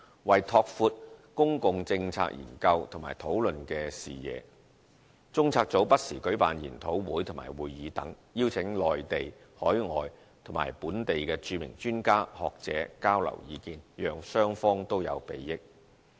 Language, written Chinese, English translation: Cantonese, 為拓闊公共政策研究及討論視野，中策組不時舉辦研討會和會議等，邀請內地、海外及本地的著名專家、學者交流意見，讓雙方都有裨益。, In order to broaden the vision on public policy study and discussion CPU will from time to time organize seminars and meetings so that the renowned experts and scholars from the Mainland overseas and Hong Kong can share their views to the benefit of both parties